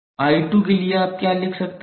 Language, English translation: Hindi, For I 2 what you can write